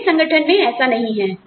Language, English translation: Hindi, That does not happen in my organization